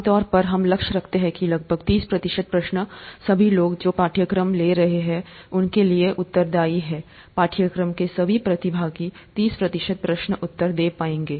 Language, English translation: Hindi, What we usually aim for is that about thirty percent of the questions are amenable to all people who are taking the course, all the participants of the course would be able to answer about thirty percent of the questions